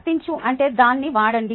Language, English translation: Telugu, apply is just use that